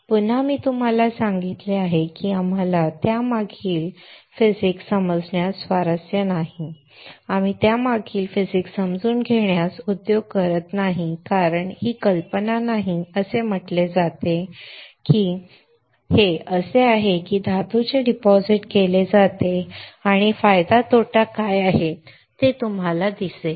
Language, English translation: Marathi, Again, I told you we are not interested in understanding the physics behind it we are not industry understanding the physics behind it because that is not the idea is said this is how it is done depositing off metal and you will see what is the advantage disadvantage that is it